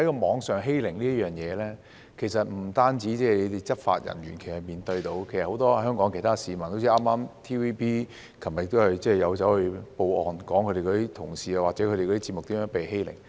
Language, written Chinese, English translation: Cantonese, 網上欺凌不單是執法人員面對的問題，其實很多香港市民，例如 TVB 昨天亦報案，指出其同事或節目如何被欺凌。, The problem of cyber - bullying is faced by not only law enforcement officers but also many Hong Kong people . For example TVB made a report to the Police yesterday alleging how its staff or programmes were subject to bullying